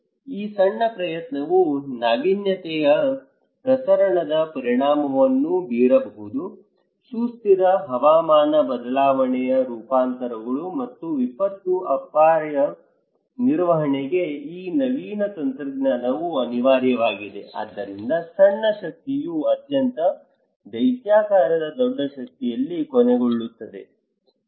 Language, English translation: Kannada, This small effort can have a very gigantic impact like diffusion is of innovation, this innovative technology is inevitable for sustainable climate change adaptations and disaster risk management so, putting a lot small power together adds up to big power right, putting a lot of small power, small power ending at a very gigantic big power, okay